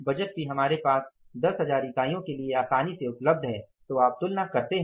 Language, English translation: Hindi, Budget is also easily available with us for the 10,000 units